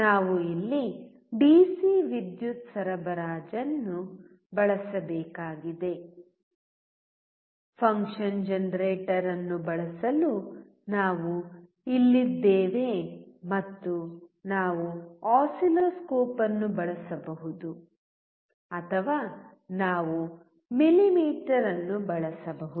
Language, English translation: Kannada, We have to use here the DC power supply, we are here to use function generator and we can use oscilloscope or we can use millimeter